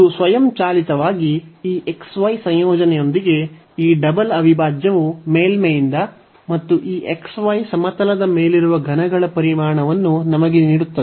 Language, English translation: Kannada, So, this automatically this double integral with the integrand this xy will give us the volume of the solid below by the surface and above this xy plane